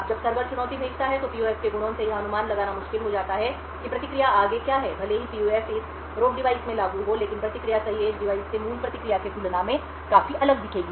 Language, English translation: Hindi, Now when the server sends the challenge, the properties of the PUF would make it difficult to predict what the response would be further, even if the PUF is implemented in this robe device the response will look quite different than what the original response was from the correct edge device